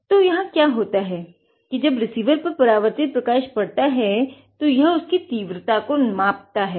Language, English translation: Hindi, So, what happens is when the receiver detects the reflected light, it will measure its intensity